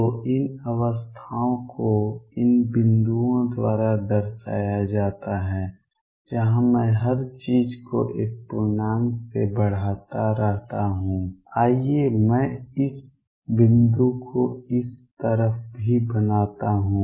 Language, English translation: Hindi, So, these states are represented by these dots where I just keep increasing everything by an integer let me make this dots on this sides also